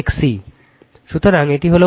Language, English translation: Bengali, So, this is the Y